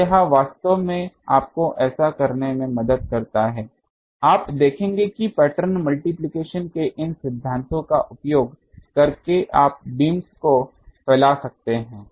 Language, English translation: Hindi, So, this also helps to do an actually you will see that by using these and principles of pattern multiplication you can spill the beans